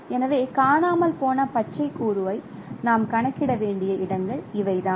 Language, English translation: Tamil, So, these are the locations where you need to compute the missing green component